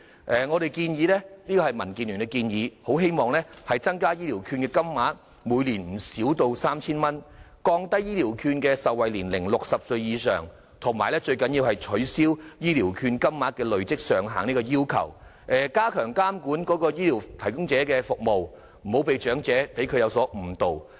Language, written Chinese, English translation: Cantonese, 民主建港協進聯盟建議增加醫療券金額，每年不少於 3,000 元、降低醫療券的受惠年齡至60歲以上，最重要的是取消醫療券金額的累積上限，以及加強監管醫療服務提供者的服務，不要讓長者有所誤導。, The Democratic Alliance for the Betterment and Progress of Hong Kong DAB suggests increasing the annual amount of the Health Care Voucher to no less than 3,000 and lowering the eligibility age for the vouchers to 60 . Most importantly we suggest abolishing the accumulation limit of Health Care Vouchers and stepping up regulation of the services provided by health care service providers to avoid the elderly being misled into using the vouchers improperly